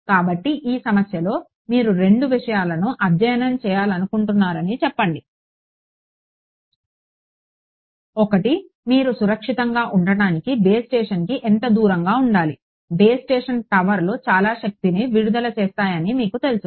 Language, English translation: Telugu, So, let us say in this problem you want to study two things; one is how close should you be to the base station to be safe; you know that base stations towers they put out a lot of power